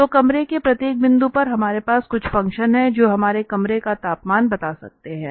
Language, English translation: Hindi, So, at each point of… in the room, we have some function that can tell us the temperature of the room